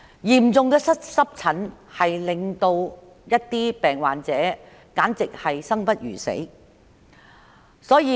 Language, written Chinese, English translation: Cantonese, 嚴重的濕疹會令患者生不如死。, People suffering from severe eczema will find life a torture